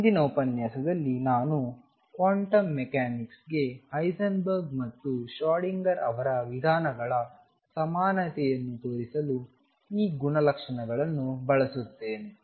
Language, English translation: Kannada, In the next lecture I will use these properties to show the equivalence of Heisenberg’s and Schrodinger’s approaches to quantum mechanics